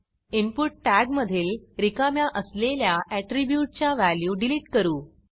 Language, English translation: Marathi, Let us delete the empty value attribute from the input tag